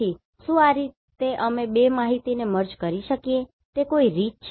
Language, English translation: Gujarati, So, is there any way we can merge these 2 information together